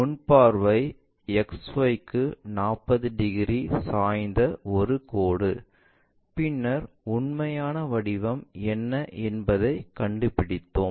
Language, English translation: Tamil, And front view is a line 45 degrees inclined to XY, then we try to figure it out what might be the true shape